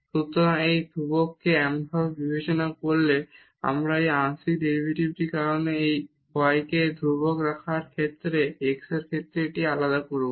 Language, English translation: Bengali, So, treating this y constant so, we will just differentiate this with respect to x keeping this y as constant because of these partial derivatives